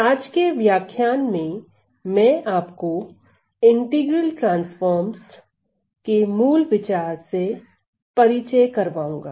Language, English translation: Hindi, So, let me just introduce let me just introduce the idea of integral transforms